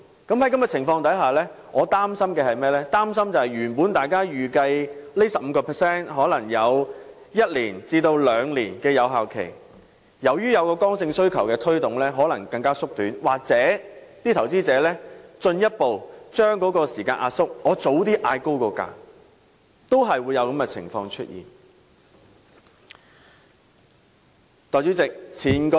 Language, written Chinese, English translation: Cantonese, 在這種情況下，我擔心本來預計這 15% 新稅率的有效時間會維持一兩年，但在剛性需求的推動下，有效時間可能會更短，又或是投資者進一步把時間壓縮，例如提早調高賣價，在在都會導致出現上述情況。, In that case I am worried that the effective period of the new rate of 15 % which is expected to last for one to two years will be even shorter in view of the inelastic demand . It is also possible that the effective period may be further compressed if investors for example set a higher selling price at an earlier stage . All these will give rise to the above mentioned situation